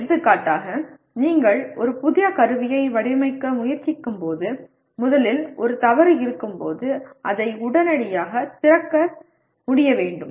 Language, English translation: Tamil, For example when you are trying to design a new equipment, first thing is you should be able to readily open that when there is a fault